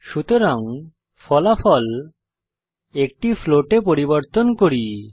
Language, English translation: Bengali, So let us change the result to a float